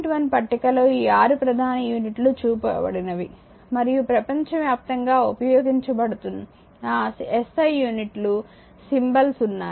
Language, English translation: Telugu, 1 it shows the 6 principal units you needs and there symbols the SI units are use through the throughout the world right